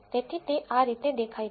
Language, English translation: Gujarati, So, this is how it appears